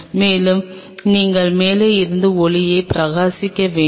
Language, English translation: Tamil, And you have to shining the light from the top